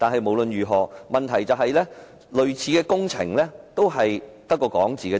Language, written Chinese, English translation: Cantonese, 無論如何，問題是類似工程淪為空談。, In any case the problem is that all such works projects have turned into empty talk